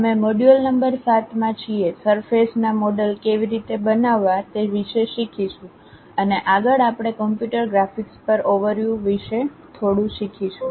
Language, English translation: Gujarati, We are in module number 7, learning about how to construct surface models and further we are learning little bit about Overview on Computer Graphics